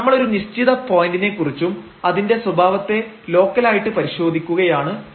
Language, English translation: Malayalam, But we are talking about at a certain point and checking its behavior locally